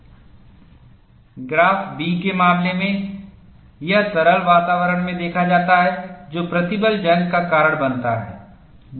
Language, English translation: Hindi, In the case of graph b, it is observed in liquid environments, that cause stress corrosion